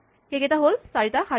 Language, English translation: Assamese, These are the four rows